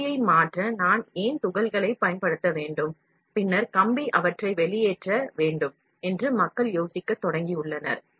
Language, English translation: Tamil, Now people have started thinking why should I use pellets to convert wire and then wire extrude them